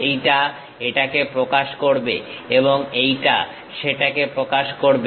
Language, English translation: Bengali, This one represents this and this one represents that